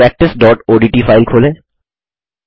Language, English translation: Hindi, Open the file practice.odt